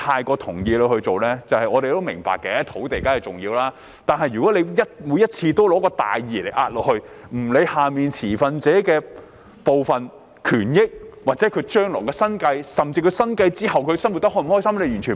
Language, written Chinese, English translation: Cantonese, 我們固然明白土地的重要性，但如果政府每次都用大義壓人，毫不理會持份者的權益、生計或生活開心與否，這做法同樣有欠妥善。, We certainly understand the importance of land but it is not right for the Government to bulldoze stakeholders into submission with righteous causes all the time without showing any concern about their rights means of living or feelings